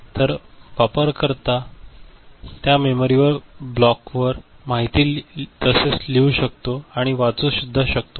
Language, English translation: Marathi, So, the user can write as well as read information from that memory block